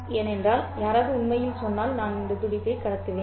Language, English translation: Tamil, Someone might actually say I will transmit this pulse